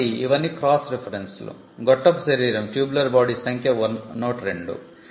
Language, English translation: Telugu, So, these are all the cross references; tubular body is 102